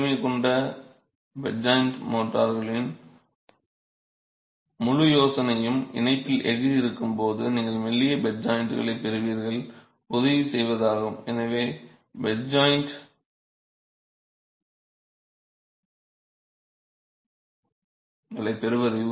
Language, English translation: Tamil, The whole idea of high strength bed joint motors is to ensure that you get thin bed joints when you have steel in the, when you have steel in the joint itself